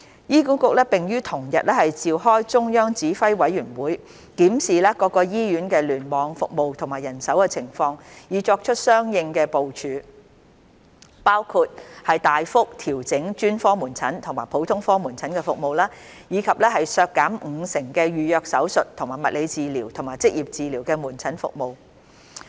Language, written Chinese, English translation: Cantonese, 醫管局並於同日召開中央指揮委員會，檢視各醫院聯網服務和人手情況，以作出相應部署，包括大幅調整專科門診和普通科門診服務，以及削減五成的預約手術和物理治療及職業治療門診服務。, HA reiterated that such action was not in the interests of patients and would directly affect public hospital services . On the same day HA convened the Central Command Committee to review the services and manpower situation in various hospital clusters and made corresponding arrangements including significantly adjusting SOPC and general outpatient clinic GOPC services as well as reducing elective surgeries and physiotherapy and occupational therapy outpatient services by 50 %